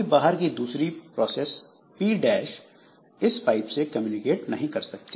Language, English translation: Hindi, Some other process P dash it cannot communicate with this pipe